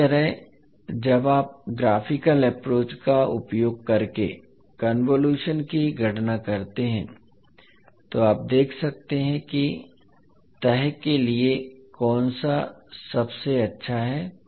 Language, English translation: Hindi, Similarly when you actually calculate the convolution using the graphical approach you can see which one is the best for the folding